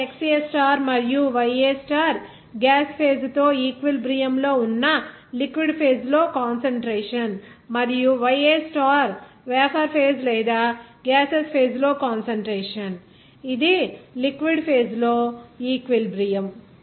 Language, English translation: Telugu, Here XA star and YA star are the concentration in the liquid phase that is in equilibrium with the gaseous phase and YA star is the concentration in the vapor phase or gaseous phase that is equilibrium with the liquid phase